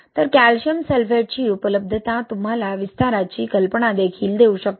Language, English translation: Marathi, So this availability of calcium sulphate can also give you an idea about the expansion